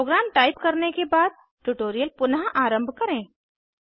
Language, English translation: Hindi, Resume the tutorial after typing the program